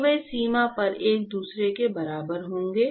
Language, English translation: Hindi, So, they will be equal to each other at the boundary